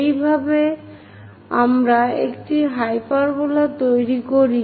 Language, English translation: Bengali, This is the way we construct a hyperbola